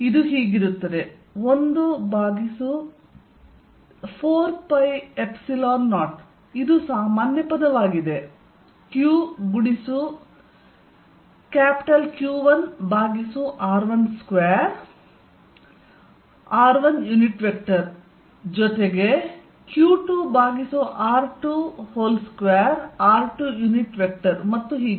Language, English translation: Kannada, So, this is going to be 1 over 4 pi epsilon 0, which is common; q, q1 over r1 square r1 unit vector plus q2 over r2 square r2 unit vector plus so on